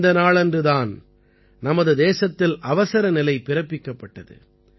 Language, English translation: Tamil, This is the very day when Emergency was imposed on our country